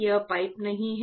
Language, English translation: Hindi, This is not pipe